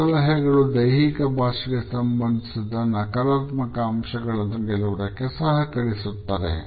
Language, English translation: Kannada, These tips may help us in overcoming the negative aspects related with our body language